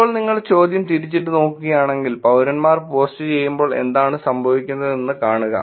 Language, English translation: Malayalam, Now if you flip the question and see, when citizens do the post what happens